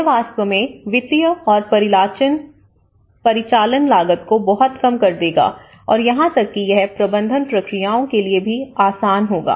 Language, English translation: Hindi, This will actually reduce lot of financial cost, operational cost and even it will be easy for the management procedures